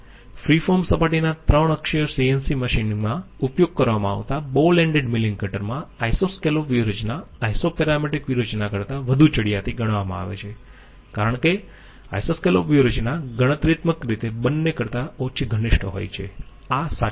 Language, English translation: Gujarati, In 3 axis CNC machine of a free form surface employing ball ended milling cutter, Isoscallop strategy is considered to be superior to Isoparametric as Isoscallop strategy is computationally less intensive of the two, this is not correct Isoscallop strategy is in fact computationally more intensive